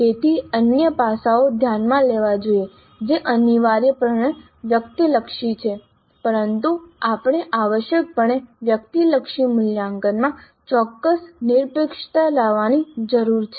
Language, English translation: Gujarati, So there are other aspects to be considered which essentially are subjective but we need to bring in certain objectivity to the essentially subjective assessment